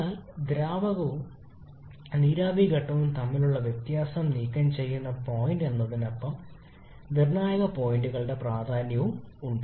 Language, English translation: Malayalam, But apart from being the point which removes the distinction between liquid and vapour phase there are some further importance or significance of critical point as well